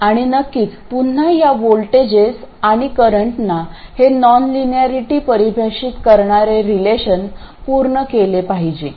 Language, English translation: Marathi, And of course, again, these voltages and currents have to satisfy these relationships which define the non linearity